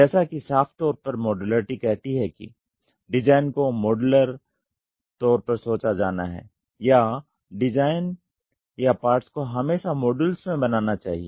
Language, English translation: Hindi, As it very clearly says modularity so that means, to say design has to be thought in modular form or I have to make the parts or the design in modules